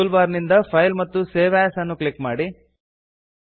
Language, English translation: Kannada, From the toolbar, click File, Save As and File